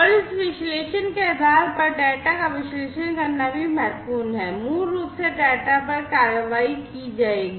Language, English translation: Hindi, And also it is important to analyze the data based on this analysis, basically the data, the actions will be taken